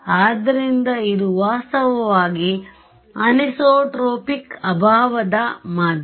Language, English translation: Kannada, So, this is actually anisotropic lossy medium right